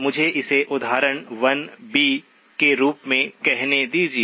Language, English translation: Hindi, Let me call it as example 1b